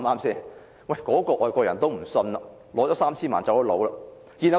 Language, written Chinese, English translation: Cantonese, 那位外國人收取了 3,000 萬元後離職。, That foreigner had left office after receiving 30 million